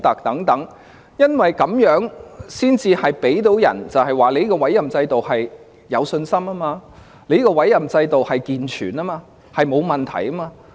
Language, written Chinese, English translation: Cantonese, 這樣才可以令人對這個委任制度有信心，認為它健全及沒有問題。, This is the only way to boost confidence in this appointment mechanism to prove that it is sound and good